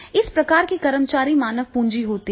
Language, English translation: Hindi, So, these type of the employees they are the human capital